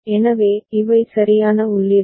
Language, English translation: Tamil, So, these are the corresponding inputs right